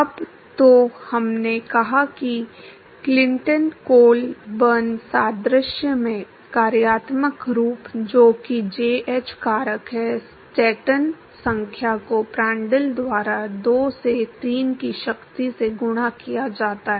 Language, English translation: Hindi, Now so, we said that the functional form in the Clinton coal burn analogy, that is jh factor is Stanton number multiplied by Prandtl to the power of 2 by 3